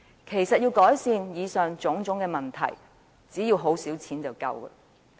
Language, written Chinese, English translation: Cantonese, 其實，要改善以上種種問題，只要動用很少撥款便已足夠。, In fact to rectify the aforesaid problems only a small amount of funding will suffice